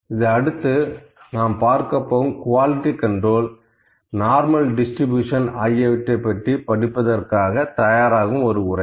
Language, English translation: Tamil, So, just this is the lecture to prepare for the next discussion that we are going to do, on the quality control, on the normal distribution, etc